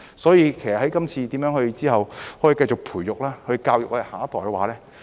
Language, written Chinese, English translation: Cantonese, 所以，今後如何可以繼續培育和教育下一代呢？, That being the case how can we continue to nurture and educate the next generation in future?